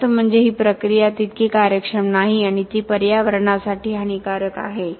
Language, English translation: Marathi, Higher it is that means the process is not as efficient and it is harmful to the environment